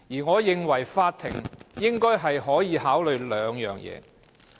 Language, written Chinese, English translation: Cantonese, 我認為法院應該考慮以下兩點。, I think the court should consider the following two points